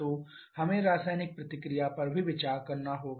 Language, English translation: Hindi, So, we have to consider the chemical reaction also